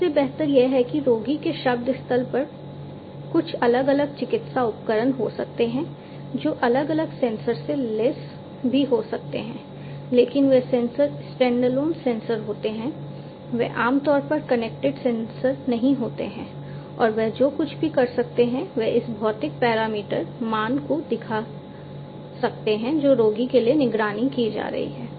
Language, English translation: Hindi, Better than that is, at the word site of the patient there might be some different medical devices which might be also equipped with different sensors, but those sensors are standalone sensors, they are typically not connected sensors and all they can do is they can give the they can show the value the physiological parameter value that is being monitored for the patient